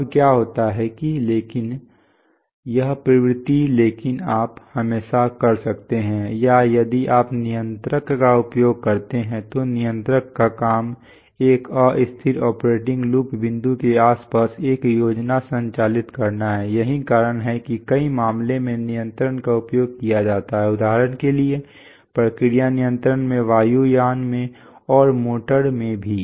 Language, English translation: Hindi, Now what happens is that but this tendency but you can always or if you use a controller one of the jobs of the controller is to operate a plan around unstable operating loop points, that is why control is used in many, many cases for example, in process control, in aircrafts, and also in motor